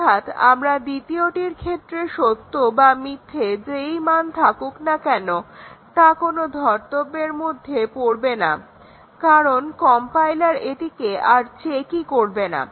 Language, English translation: Bengali, So, whether we give true or false to the second does not really matter because the compiler does not check it